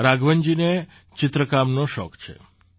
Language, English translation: Gujarati, Raghavan ji is fond of painting